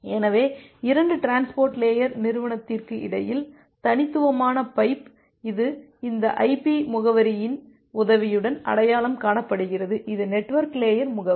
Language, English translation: Tamil, So, unique pipe here between 2 transport layer entity, it is identified with the help of this IP address, which is the network layer address